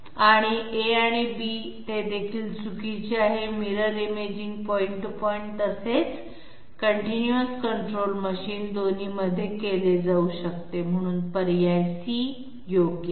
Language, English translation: Marathi, And A and B they are also wrong, Mirror imaging can be carried out both in point to point as well as continues control machines, so option C is correct